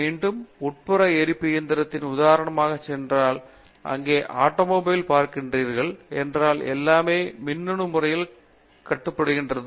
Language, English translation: Tamil, Again, if you go back to internal combustion engine example, if you look at an automobile today, everything is electronically controlled